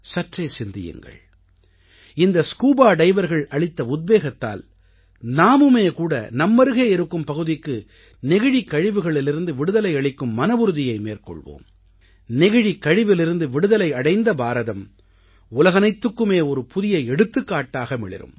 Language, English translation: Tamil, Pondering over, taking inspiration from these scuba divers, if we too, take a pledge to rid our surroundings of plastic waste, "Plastic Free India" can become a new example for the whole world